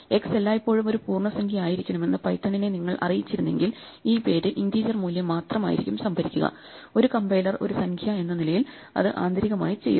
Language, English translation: Malayalam, Now if you had announced to Python that x must always be an integer then this name must only store an integer value, presumably as a compiler it would catch it internally